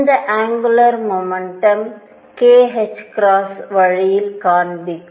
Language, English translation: Tamil, And the angular momentum point in this way k h cross